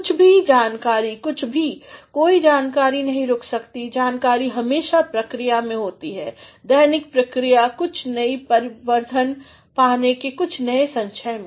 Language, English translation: Hindi, Something some knowledge, no knowledge can stop knowledge is always in the process, everyday process of getting some new addition to some new accumulation